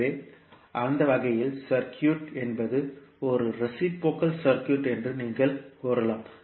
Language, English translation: Tamil, So, in that way you can say that the circuit is a reciprocal circuit